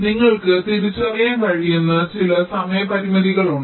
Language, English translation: Malayalam, so there are there are a few timing constraints you can identify